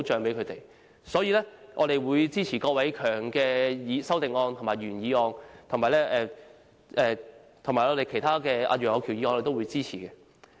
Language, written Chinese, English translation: Cantonese, 因此，我們會支持郭偉强議員的修正案和原議案，以及其他議員及楊岳橋議員的修正案。, Hence we will support Mr KWOK Wai - keungs amendment and the original motion as well as the amendments proposed by other Members and Mr Alvin YEUNG